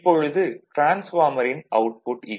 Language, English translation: Tamil, Now, output of the transformer, so it is generally V 2 I 2 cos phi 2 right